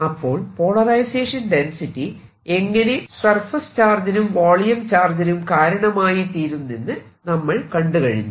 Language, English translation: Malayalam, so we have seen physically that polarization density is equivalent to a surface charge and a bulk charge